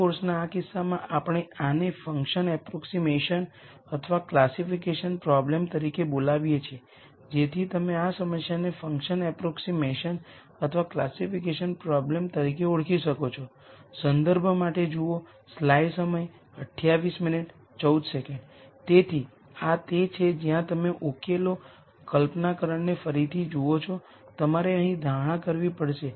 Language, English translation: Gujarati, In this case of this course we are calling these as function approximation or classification problem so you identify these problem sorry as either function approximation are classification problems